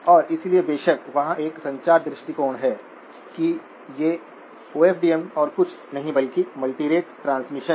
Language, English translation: Hindi, And so of course, there is a communications viewpoint that these are, OFDM is nothing but multitone transmission